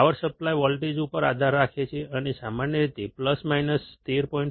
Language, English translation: Gujarati, Depends on the power supply voltage, and typically is about plus minus 13